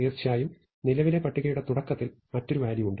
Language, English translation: Malayalam, Of course, in the beginning of the current list there is another value